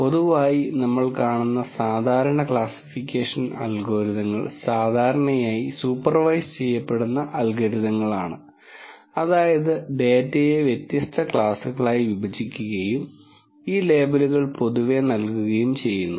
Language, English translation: Malayalam, In general, typical classification algorithms that we see are usually supervised algorithms, in the sense that the data is partitioned into different classes and these labels are generally given